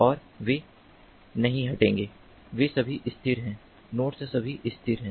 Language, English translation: Hindi, they are all stationary, the nodes are all stationary